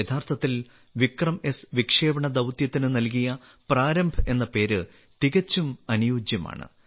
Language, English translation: Malayalam, Surely, the name 'Prarambh' given to the launch mission of 'VikramS', suits it perfectly